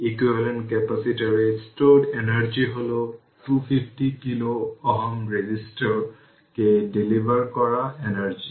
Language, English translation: Bengali, The energy stored in the equivalent capacitor is the energy delivered to the 250 kilo ohm resistor